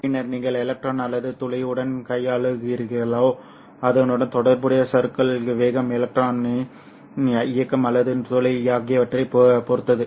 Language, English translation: Tamil, And then whether you are dealing with the electron or the hole, the corresponding drift velocities will depend on the mobilities of the electron or the hole